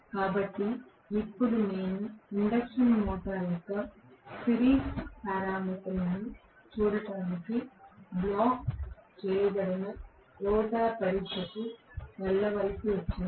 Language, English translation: Telugu, So, now I had to go on to the blocked rotor test to look at the series parameters of the induction motor